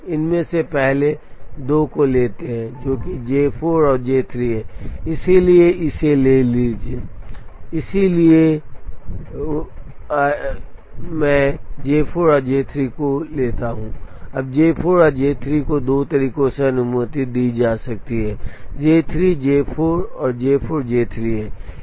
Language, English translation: Hindi, Now, we take the first two of these which is J 4 and J 3, so take, so step 1 take J 4 and J 3, now J 4 and J 3 can be permuted in two ways, which is J 3, J 4 and J 4, J 3